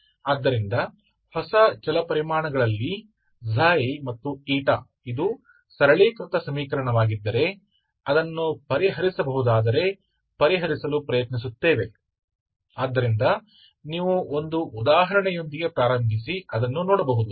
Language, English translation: Kannada, So in equation in new variables Xi and eta so that if that is simplified equation if it is solvable will try to solve ok, so that is what will see, you start with an example